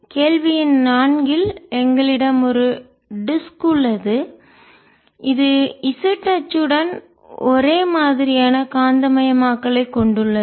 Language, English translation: Tamil, in question number four, we have a disc which has the information magnetization along the z axis